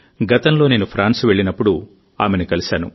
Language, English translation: Telugu, Recently, when I had gone to France, I had met her